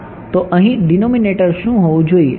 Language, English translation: Gujarati, So, what should the denominator here be